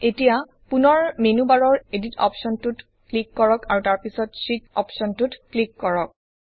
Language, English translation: Assamese, Now again click on the Edit option in the menu bar and then click on the Sheet option